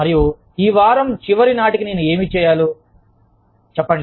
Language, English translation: Telugu, And, say, what do i need to do, by the end of this week